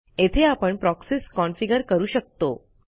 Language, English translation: Marathi, Here you can configure the Proxies